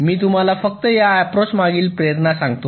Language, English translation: Marathi, ok, let me just give you the motivation behind this approach